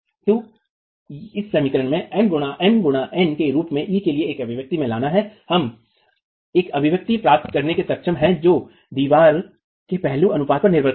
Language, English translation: Hindi, So, bringing in an expression for E as m by n into this equation, we are able to get an expression which now depends on the aspect ratio of the wall